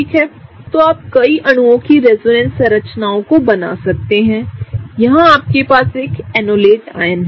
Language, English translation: Hindi, So, you can draw resonance structures of many molecules, here in you have an enolate ion